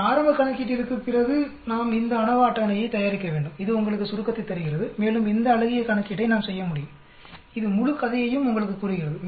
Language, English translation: Tamil, After this preliminary calculation, we need to prepare this ANOVA table, this gives you summary and we can do this nice looking calculation, it tells you the whole story